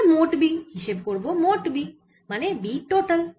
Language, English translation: Bengali, we have to calculate b tot, so b total